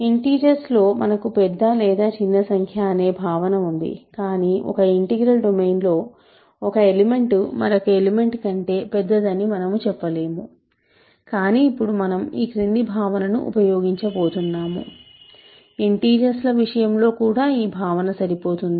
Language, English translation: Telugu, In integers we have the notion of being big or small, in an arbitrary integral domain there is no order we cannot say one element is bigger than another element, but we are now going to use this following notion which also holds in the case of integers